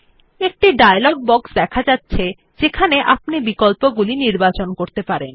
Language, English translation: Bengali, A dialog box appears on the screen giving you options to select from